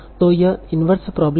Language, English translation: Hindi, So this problem is related